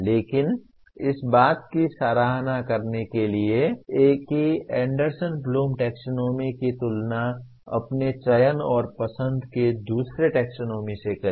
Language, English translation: Hindi, But to appreciate that compare Anderson Bloom Taxonomy with another taxonomy of your selection/choice